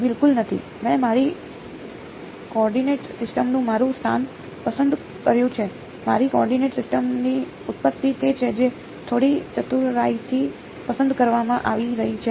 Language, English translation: Gujarati, Not at all I have just choosing my location of my coordinate system the origin of my coordinate system is what is being chosen a little bit cleverly